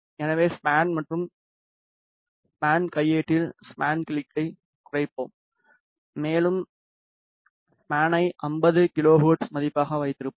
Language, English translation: Tamil, So, let us reduce the span click on span and span manual and let us keep the span to 50 kilohertz value